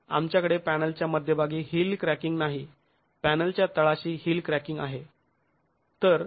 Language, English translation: Marathi, We don't have heel cracking at the middle of the panel